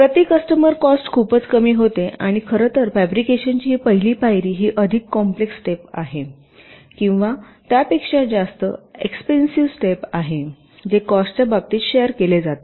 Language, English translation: Marathi, ok, so the per customers cost become much less and in fact this first step of fabrication is the more complex step or the more expensive step which is shared in terms of cost